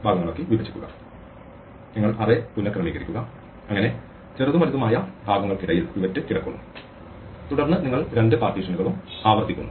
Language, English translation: Malayalam, You rearrange the array so that pivot lies between the smaller and the bigger parts and then you recursively sort the two partitions